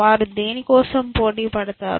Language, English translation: Telugu, What do they compete for